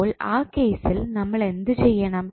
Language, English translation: Malayalam, So, what we have to do in that case